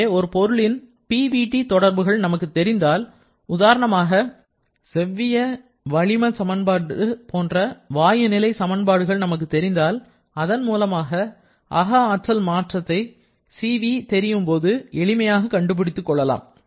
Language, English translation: Tamil, So, if we know the PVT relationship of any particular substance something like an equation of ideal gas equation of state etc you can easily calculate the changes in internal energy using that knowledge and also the knowledge of this Cv